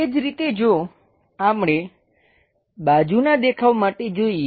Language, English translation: Gujarati, Similarly, for the side view if we are looking